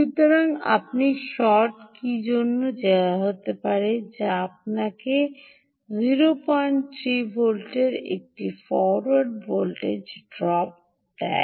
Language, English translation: Bengali, so you would go for short key, which would give you a forward voltage drop of zero point three volts